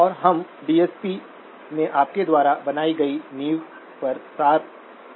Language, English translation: Hindi, And we are in essence building on the foundation that you have had in DSP